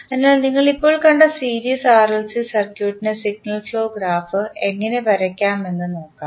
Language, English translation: Malayalam, So, let us see how we draw the signal flow graph of the series RLC circuit we just saw